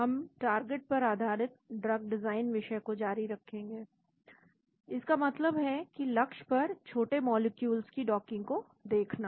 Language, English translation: Hindi, We will continue on the topic of target based drug design that means looking at the docking of small molecules to the target